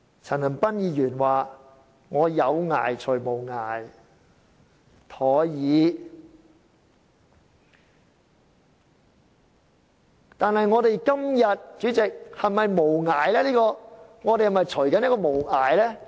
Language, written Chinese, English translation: Cantonese, 陳恒鑌議員說"以有涯隨無涯，殆已"，但是，主席，我們今天是否正在"隨無涯"呢？, Mr CHAN Han - pan said If you use what is limited to pursue what has no limit you will be in danger . However President are we pursuing what has no limit today?